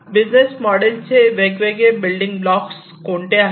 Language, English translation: Marathi, So, what are the different building blocks of it